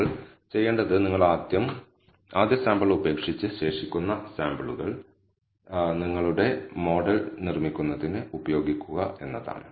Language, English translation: Malayalam, So, what we will do is you first leave out the first sample and use the remaining samples for building your model